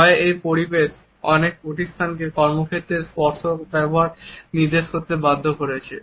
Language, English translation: Bengali, This climate of fear has forced many organizations to prohibit the use of touch in the workplace